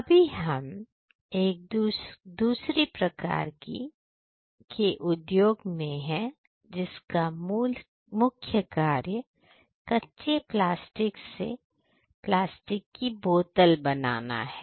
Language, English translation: Hindi, So, right now we are in another type of company which is basically a company which focuses on taking raw plastic materials and then converting them into plastic bottles